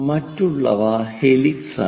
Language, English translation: Malayalam, The other ones are helix